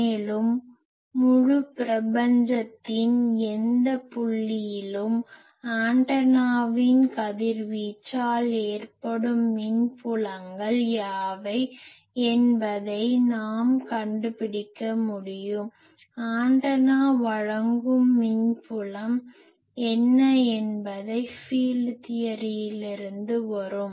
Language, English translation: Tamil, Also we will be able to find out what are the fields radiated by the antenna at any point in the whole universe; what is the field that antenna gives that will come from field theory